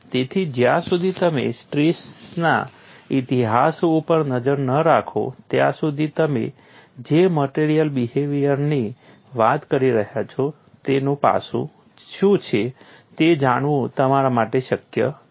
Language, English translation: Gujarati, So, unless you keep track of the strain history, it is not possible for you to know what is the aspect of the material behavior, you are talking about